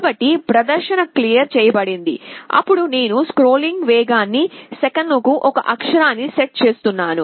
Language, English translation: Telugu, So, the display is cleared then I am setting speed of scrolling to one character per second